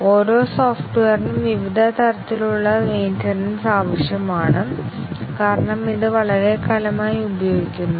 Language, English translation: Malayalam, Every software needs various types of maintenance, as it is used over a long time